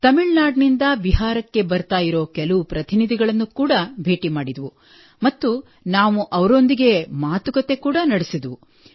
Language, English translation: Kannada, And I also met some delegates who were coming to Bihar from Tamil Nadu, so we had a conversation with them as well and we still talk to each other, so I feel very happy